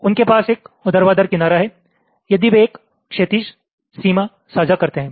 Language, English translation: Hindi, two blocks have a horizontal edge if they share a vertical boundary